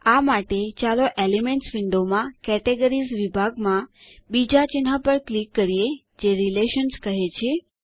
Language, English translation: Gujarati, For this, let us click on the second icon that says Relations in the Categories section in the Elements window